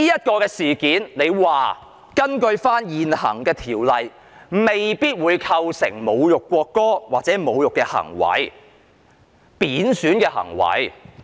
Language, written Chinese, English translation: Cantonese, 局長說，根據現行法例，這事件未必構成侮辱國歌或貶損行為。, The Secretary said under the current legislation the above action might not necessarily constitute an insult of or a disrespectful act to the national anthem